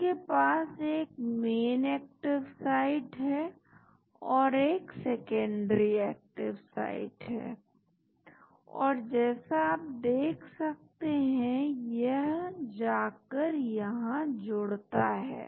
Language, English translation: Hindi, It has got a main active site and there is a secondary active site and as you can see it goes and binds here